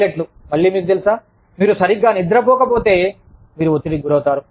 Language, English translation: Telugu, Pilots, again, you know, if you do not sleep properly, you are stressed out